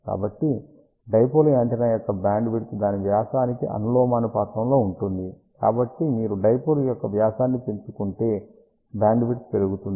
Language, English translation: Telugu, So, bandwidth of the dipole antenna is directly proportional to its diameter, so that means, if you increase the diameter of the dipole, bandwidth will increase